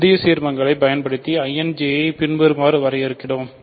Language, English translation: Tamil, So, we define new ideals using I and J as follows ok